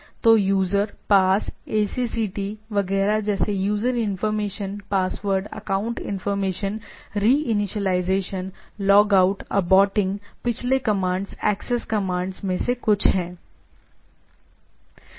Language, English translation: Hindi, So, USER, PASS, ACCT, etcetera like user information, password, account information, re initialization, logout, aborting, previous commands are some of the access commands